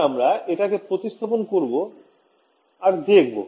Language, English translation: Bengali, So, let us substitute it and see